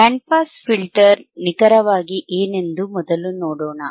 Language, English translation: Kannada, Let us first see what exactly the band pass filter is, right